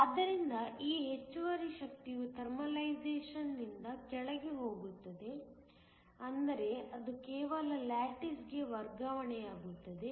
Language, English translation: Kannada, So, this excess energy is lost by Thermalization that is, it is just transfer to the lattice